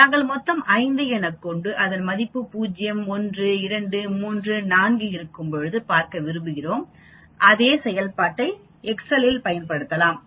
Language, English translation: Tamil, We put total as 5 and we want to look at 0, 1, 2, 3, 4, we can use the same function here in excel also